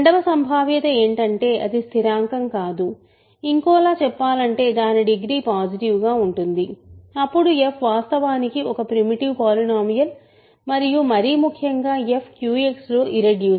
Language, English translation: Telugu, Second possibility is it is not constant in other words its degree is positive, then f is actually a primitive polynomial and more importantly f is irreducible in Q X